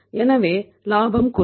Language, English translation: Tamil, So the profit will decrease